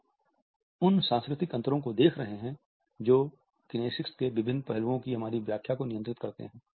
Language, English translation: Hindi, We have been looking at the cultural differences which govern our interpretation of different aspects of kinesics